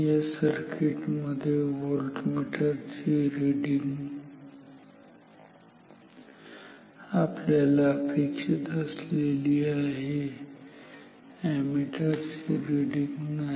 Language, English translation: Marathi, In this circuit the voltmeter reading is exactly what we want, but the ammeter reading is not so